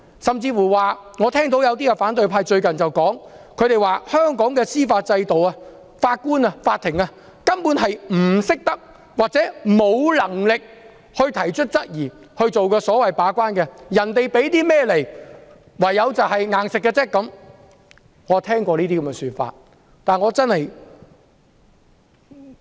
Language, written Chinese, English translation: Cantonese, 甚至有反對派議員最近說，在香港的司法制度下，法官、法庭根本不懂得或沒能力提出質疑，進行把關，只能全盤接受請求方提供的所有文件。, Some opposition Members have even said recently that under the judicial system of Hong Kong judges or courts are basically ignorant or are unable to raise any queries as gatekeepers and they can only accept all documents provided by the requesting party